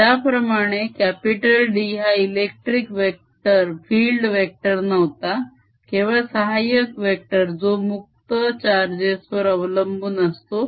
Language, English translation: Marathi, h, just like d was not electric field but just an auxiliary vector which was related to free charge